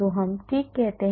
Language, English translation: Hindi, So, we just say okay